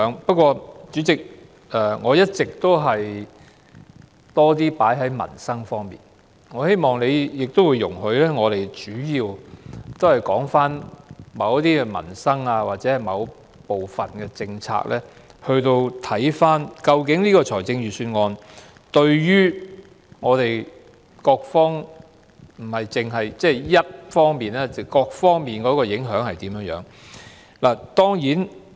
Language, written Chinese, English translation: Cantonese, 不過，主席，由於我一直比較側重民生方面，所以希望你容許我們主要就着某些民生或某部分的政策來檢視這份預算案不但對社會某一方面，而且還是對各方面的影響。, However Chairman as I have all along been focusing on livelihood issues please allow me to mainly elaborate on certain livelihood issues or policies thereby reviewing the implications of the Budget for a specific area as well as for various aspects